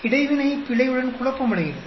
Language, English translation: Tamil, So, interaction becomes confounded with the error